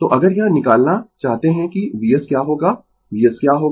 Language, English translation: Hindi, So, if you want to find out what will be your V s what will be your V s